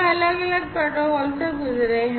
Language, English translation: Hindi, So, we have gone through different protocols